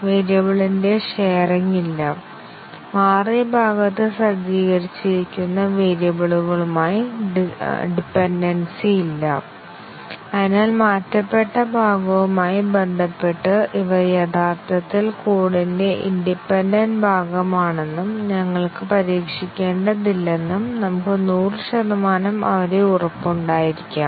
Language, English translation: Malayalam, There is a no sharing of variable, no dependency with the variables that are set in the changed part and therefore, we can be 100 percent sure that, these are truly independent part of the code with respect to the changed part and we need not test them